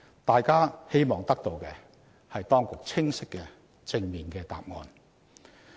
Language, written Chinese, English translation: Cantonese, 大家希望得到的是當局清晰及正面的答案。, We wish to receive clear and positive responses from the authorities